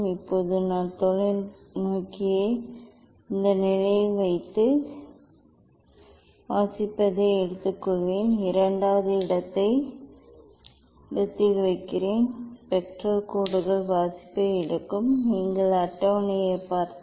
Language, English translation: Tamil, Now, I will put the telescope at this position and take the reading then, put the second position second position spectral lines take the reading if you see the table